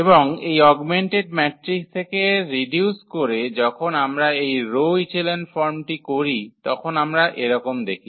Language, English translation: Bengali, And from this augmented matrix when we reduce to this rho echelon form we observe the following